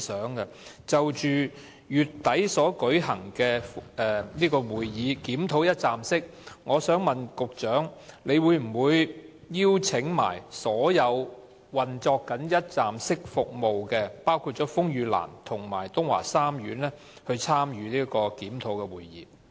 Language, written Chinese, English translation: Cantonese, 就着將於月底舉行的"一站式"服務會議，我想問局長會否一併邀請正在提供"一站式"服務的機構，包括風雨蘭及東華三院，參與有關的檢討會議？, With regard to the meeting to be conducted at the end of this month about one - stop services I would like to ask the Secretary if the organizations currently providing one - stop services such as RainLily and Tung Wah Group of Hospitals will be invited to attend this review meeting